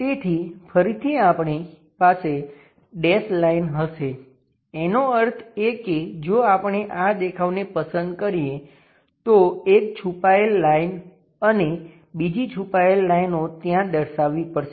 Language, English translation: Gujarati, So, again we will have dash lines; that means, if we are picking this view one hidden line and second hidden lines we have to represent there